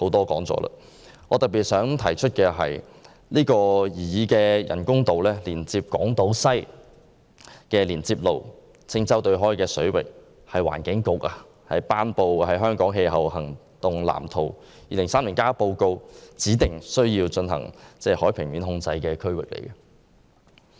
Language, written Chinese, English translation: Cantonese, 我想特別指出的是，擬議人工島連接港島西的連接路所在的青洲對開水域，是環境局發表的《香港氣候行動藍圖 2030+》報告指定需要進行海平面控制的區域。, I would like to highlight that the waters off Green Island ie . the area for building roads connecting the artificial islands and Hong Kong Island West is an area stipulated in the report on Hong Kongs Climate Action Plan 2030 where the sea level should be regulated